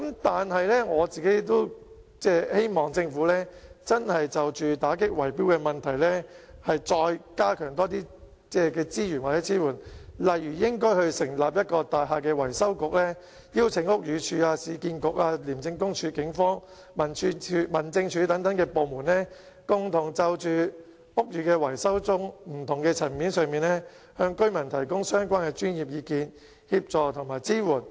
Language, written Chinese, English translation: Cantonese, 但是，我希望政府就打擊圍標問題真的再加強提供資源或支援，例如成立一個大廈維修局，邀請屋宇署、市區重建局、廉政公署、警方、民政事務總署等部門共同就屋宇維修中不同的層面，向居民提供相關的專業意見、協助及支援。, However I hope that the Government will really further increase the provision of resources or support to combat the problem of bid rigging by for instance setting up a building repairs bureau and inviting the Buildings Department the Urban Renewal Authority the Independent Commission Against Corruption the Police the Home Affairs Department and so on to make a concerted effort to provide residents with professional advice assistance and support in various aspects of building repairs and maintenance